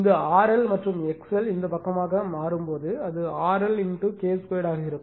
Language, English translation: Tamil, And when you transform this R L and X L to this side it will be thenyour R L into your K square